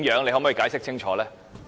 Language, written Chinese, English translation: Cantonese, 你可否解釋清楚？, Can you explain them clearly?